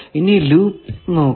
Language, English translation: Malayalam, Now is there any loop